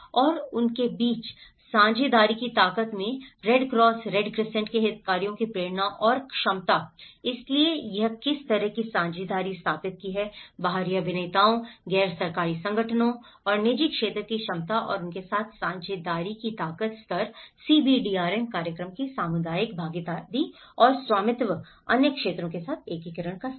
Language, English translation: Hindi, And the motivation and capacity of the Red Cross Red Crescent stakeholders in the strength of partnerships between them, so what kind of partnerships it have established, the capacity of external actors, NGOs and private sector and the strength of the partnership with them, the level of community participation and ownership of CBDRM program, the level of integration with other sectors